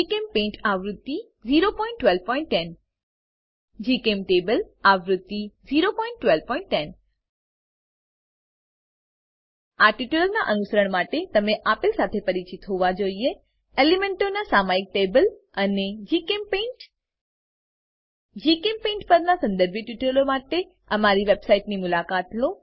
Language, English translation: Gujarati, GChemPaint version 0.12.10 GChemTable version 0.12.10 To follow this tutorial you should be familiar with * Periodic table of the elements and * GChemPaint For relevant tutorials on GChemPaint, please visit our website